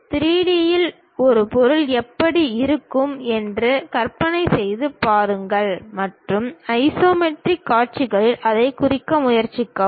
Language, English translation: Tamil, Try to imagine how an object really looks like in 3D and try to represent that in isometric views